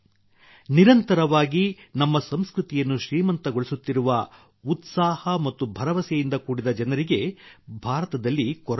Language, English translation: Kannada, There is no dearth of such people full of zeal and enthusiasm in India, who are continuously enriching our culture